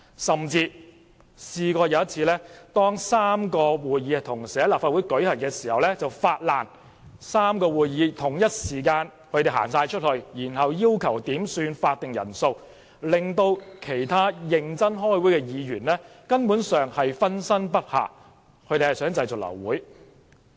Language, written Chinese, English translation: Cantonese, 甚至有一次，當3個會議同時在立法會舉行期間，反對派議員同時發難，全體離開會議室，然後要求點算法定人數，令其他認真開會的議員分身不暇，目的是想製造流會。, On one occasion when three meetings were concurrently held in the Legislative Council Complex all opposition Members took concerted action to leave the meeting room and then requested a headcount the purpose of which was to abort the meeting as other Members who were serious in deliberation could not attend all meetings at the same time